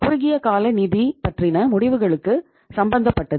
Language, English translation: Tamil, It is concerned with short term financial decision making